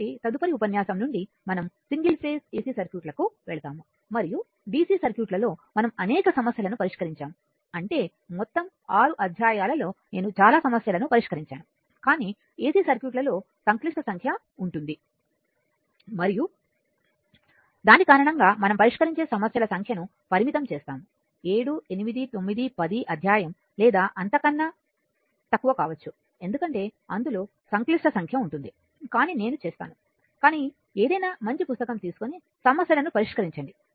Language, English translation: Telugu, So, from the next ah if you all next lecture we will go to that single phase ac circuit; and dc circuit we have solved several problems I mean I mean several problems for all 6 chapters, but in ac circuits as complex number will be involved and because of that we will restrict the number of numericals maybe 7 8 910 per each chapter or may less because complex number involved, but I will, but any good book when you will follow you will solve the problems